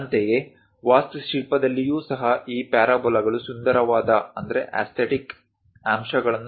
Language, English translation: Kannada, Similarly, in architecture also this parabolas gives aesthetic aspects in nice appeal